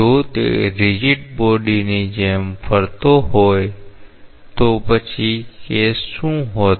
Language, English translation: Gujarati, If it was rotating like a rigid body then what would have been the case